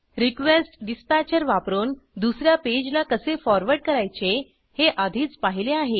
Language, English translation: Marathi, We have already seen how to forward to another page using RequestDispatcher